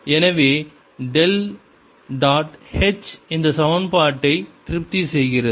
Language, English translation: Tamil, so del dot h satisfies this equation